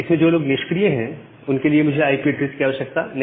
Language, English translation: Hindi, The people who are just sleeping for them, I do not require an IP address at all